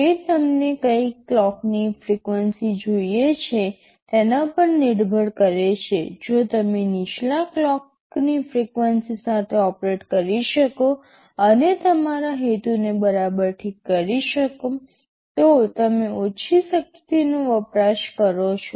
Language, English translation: Gujarati, ISo, it depends upon you what clock frequency do you want, if you can operate with a lower clock frequency and serve your purpose it is fine, you will be you will be consuming much lower power